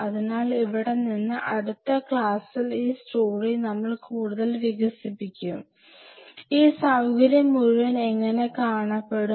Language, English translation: Malayalam, So, from here in our next class, we will further build up the story, how this whole facility will eventually look